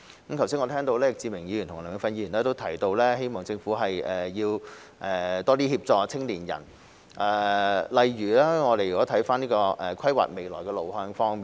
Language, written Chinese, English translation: Cantonese, 我剛才聽到易志明議員和梁美芬議員提到，希望政府多協助青年人，例如規劃未來路向方面。, Just now I heard Mr Frankie YICK and Dr Priscilla LEUNG say that they hoped the Government would provide more assistance to young people in for example mapping out their way forward